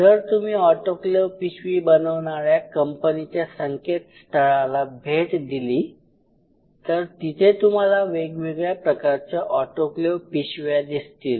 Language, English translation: Marathi, And if you visit websites of autoclave bags autoclave bags, you can see these kind of autoclave bags